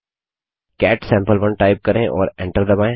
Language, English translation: Hindi, Type cat sample1 and press enter